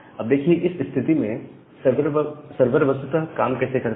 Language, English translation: Hindi, Now, in that case how the server actually works